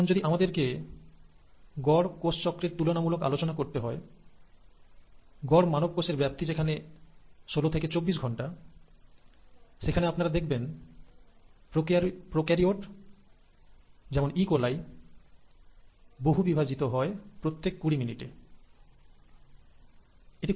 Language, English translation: Bengali, But if we were to compare an average cell cycle for an average human cell which is anywhere between sixteen to twenty four hours, you find prokaryotes like E